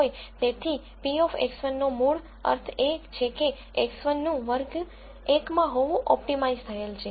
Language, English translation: Gujarati, So, p of X 1 basically means that X 1 is optimized to be in class 0